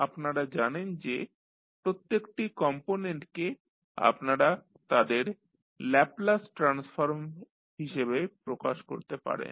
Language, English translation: Bengali, So, you know that individual components you can represent as their Laplace transform